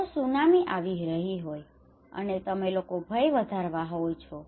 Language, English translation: Gujarati, If tsunami is coming and you are increasing people fear